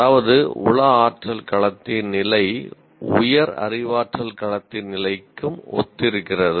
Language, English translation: Tamil, That means higher psychomotor domain level corresponds to higher cognitive level domain as well